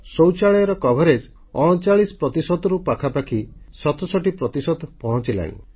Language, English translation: Odia, Toilets have increased from 39% to almost 67% of the population